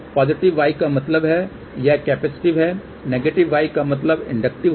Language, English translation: Hindi, Positive y means it is capacitive and negative y would mean inductive ok